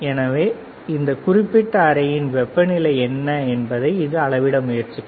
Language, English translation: Tamil, So, it will try to measure what is the temperature of the this particular room